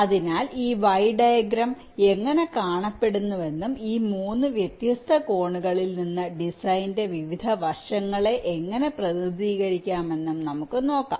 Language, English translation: Malayalam, so let us see i am a how this y diagram looks like and how it can represent the various aspects of the design from this three different angles